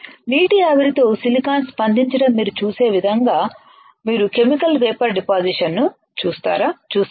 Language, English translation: Telugu, You have seen Chemical Vapor Deposition in a way that you have seen silicon reacting with water vapor right